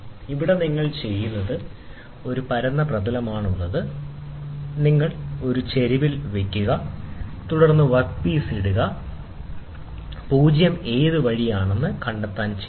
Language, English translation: Malayalam, And here what you do is you this is a flat surface, now you place it at an incline, and then you put the work piece here then, dial it to find out what way the 0